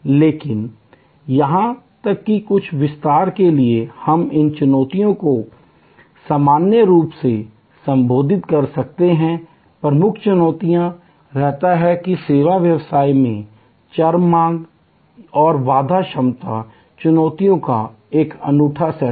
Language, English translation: Hindi, But, even to some extend we can address these challenges in general, the key challenge remains that the variable demand and constraint capacity is an unique set of challenges in service business